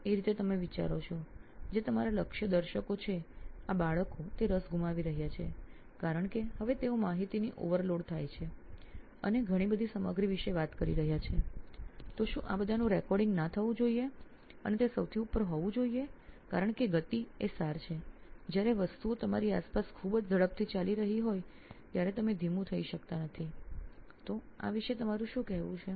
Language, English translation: Gujarati, So in that way do you think that your target audience of you know these kids are they losing out on you know because now they are talking about information overload and so much of a stuff, should not there be recording all that and be on top of it all the time because speed is the essence, you cannot be slow when things are going so fast around you, so what is your take on that